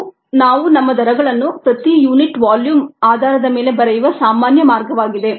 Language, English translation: Kannada, ok, this is the normal way in which we write our rates on a per unit volume bases